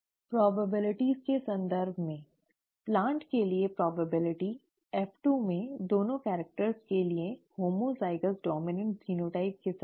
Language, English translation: Hindi, In terms of probabilities; probability for a plant in F2 with homozygous dominant genotype for both characters